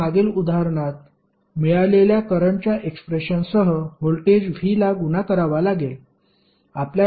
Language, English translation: Marathi, You have to simply multiply voltage v with the current expression which you we got in the previous example